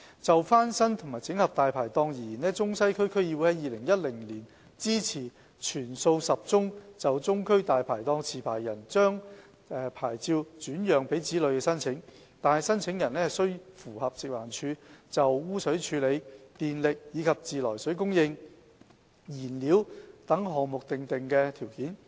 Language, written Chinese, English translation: Cantonese, 就翻新和整合"大牌檔"而言，中西區區議會在2010年支持全數10宗就中區"大牌檔"持牌人將牌照轉讓給子女的申請，但申請人須符合食環署就污水處理、電力及自來水供應、燃料等項目訂定的條件。, Regarding the refurbishment and consolidation of Dai Pai Dongs the Central and Western DC supported in 2010 all the 10 applications of transfer of licences to licensees children on condition that applicants met the requirements stipulated by FEHD which included proper disposal of sewage suitable power and mains water supply and fuel etc